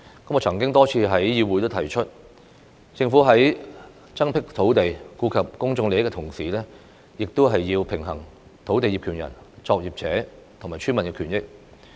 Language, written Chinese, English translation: Cantonese, 我曾多次在議會上提出，政府在增闢土地、顧及公眾利益的同時，亦必須平衡土地業權人、作業者和村民的權益。, I have repeatedly indicated in this Council before that a balance must be struck between increasing land supply in response to public interest and the interest of land owners operators and villagers